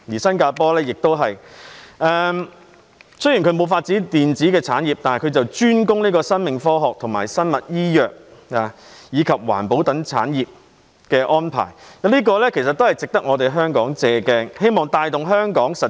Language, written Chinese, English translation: Cantonese, 雖然當地沒有發展電子產業，卻專攻生命科學、生物醫藥及環保等產業，這一點值得香港借鏡。, Although it has not developed an electronics industry it has specialized in industries such as life sciences biomedicine and environmental protection . Hong Kong should learn from their experience